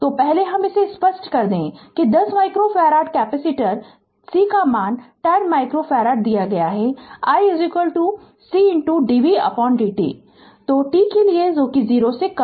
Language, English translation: Hindi, So, we know that is 10 micro farad capacitor right C value is given 10 micro farad now i is equal to C into dv by dt